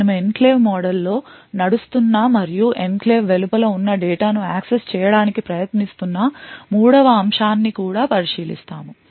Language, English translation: Telugu, We will also look at third aspect where you are running in the enclave mode and trying to access data which is outside the enclave